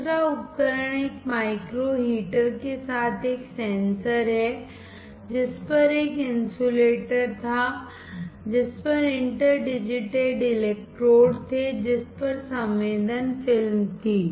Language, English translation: Hindi, Second device is a sensor with a micro heater, on which was an insulator, on which were inter digitated electrodes, on which was sensing film